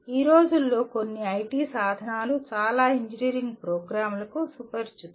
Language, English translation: Telugu, Some of the IT tools these days many engineering programs are familiar with